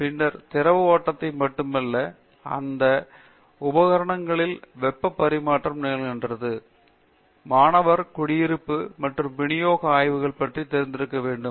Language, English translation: Tamil, And then not alone fluid flow, mass transfer are occurring in this equipments the heat transfer and then students to be familiar with the residence and distribution studies